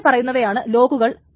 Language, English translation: Malayalam, So the locks are the following